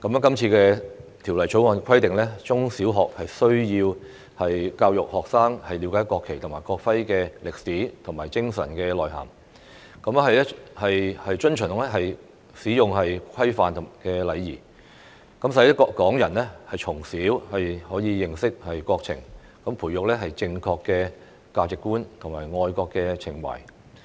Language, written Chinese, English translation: Cantonese, 今次《條例草案》規定，中小學須教育學生了解國旗及國徽的歷史和精神內涵，遵循其使用規範及禮儀，使港人從小可以認識國情，培育正確的價值觀和愛國情懷。, The Bill requires primary and secondary schools to teach students to understand the history and significance of the national flag and national emblem and observe the rules on their usage and the etiquette so that Hong Kong people will be able to learn about the country from a young age and cultivate correct values and patriotic feelings